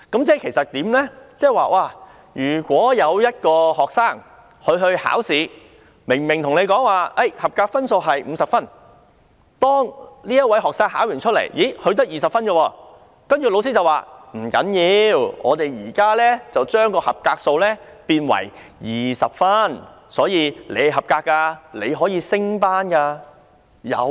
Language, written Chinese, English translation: Cantonese, 這即是說，如果有一名學生考試，本來說清楚合格分數是50分，但這名學生在考試中只考獲20分，老師便說不要緊，我們現時把合格分數改為20分，所以他是合格的，可以升班了。, That is to say if a student takes an examination and it is originally stated clearly that the passing mark is 50 but the student only scores 20 in the examination the teacher then says It does not matter . We now change the passing mark to 20 so he has passed and can now go up one grade